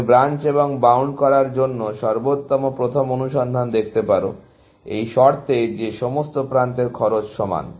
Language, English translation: Bengali, You can view best first search as doing Branch and Bound, with the condition that all edge cost are equal, essentially